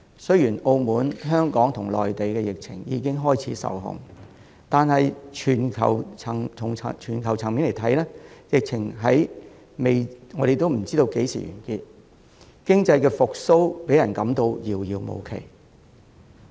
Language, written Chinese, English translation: Cantonese, 雖然澳門、香港和內地的疫情已經開始受控，但從全球層面來看，我們還未知道疫情何時完結，讓人感到經濟復蘇遙遙無期。, While the epidemic has started to come under control in Macao Hong Kong and the Mainland we still have no idea when it will come to an end at the global level making us feel that an economic recovery is nowhere in sight